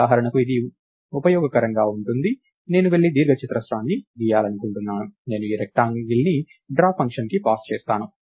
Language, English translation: Telugu, So, this is useful for example, I want to go and draw the rectangle I will pass this structure called rectangle to the draw function if